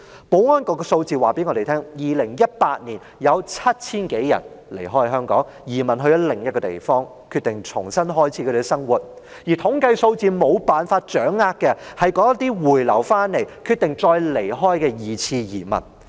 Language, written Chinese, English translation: Cantonese, 保安局的數字告訴我們 ，2018 年有 7,000 多人離開香港，移民到另一個地方，決定重新開始他們的生活，而統計數字無法掌握的，是那些回流香港後決定再離開的"二次移民"。, The statistics of the Security Bureau are telling us that more than 7 000 people left Hong Kong as emigrants in 2018 as they decided to start their life afresh in another place . Yet the statistics cannot show the number of returnees who decided to emigrate for a second time